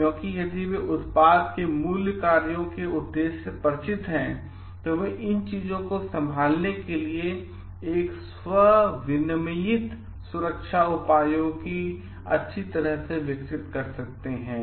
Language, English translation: Hindi, Because if their familiar with the purpose at basic functions of the product, they may develop a like self regulated safety measures to handle these things properly